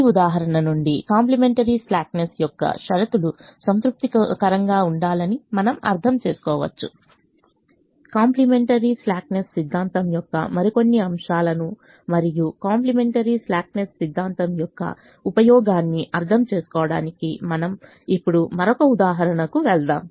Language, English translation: Telugu, we can observe that from this example, in addition to understanding that the complimentary slackness conditions have been satisfied, we'll now move on to another example to understand little more aspects of the complimentary slackness theorem and the usefulness of complimentary slackness theorem